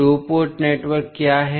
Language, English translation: Hindi, So, what is two port network